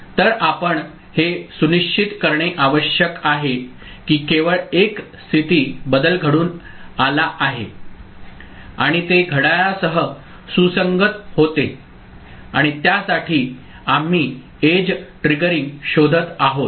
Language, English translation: Marathi, So, we need to ensure that only one state change takes place and that takes place synchronous with the clock and for that we are looking for something called edge triggering